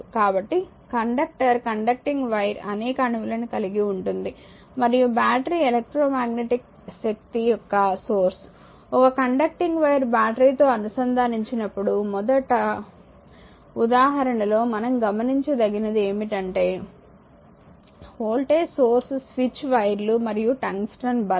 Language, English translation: Telugu, So, conductor conducting wire consist of several atoms and a battery is a source of electrometric force, when a conducting wire is connected to a battery the very fast example what we saw that voltage source is switch, conducting wires and a transient lamp right